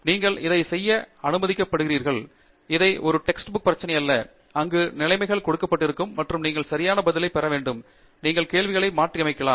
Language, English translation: Tamil, You are allowed to do that, this is not a text book problem, where conditions are given and you have to get the answer right; you can keep changing the questions